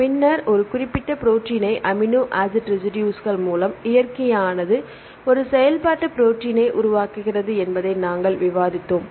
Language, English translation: Tamil, Then we discussed that nature selects particular specific combination amino acid residues to form a functional protein